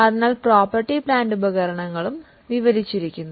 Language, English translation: Malayalam, So, property plant and equipment is described